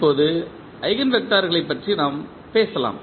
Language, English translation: Tamil, Now, let us talk about the eigenvectors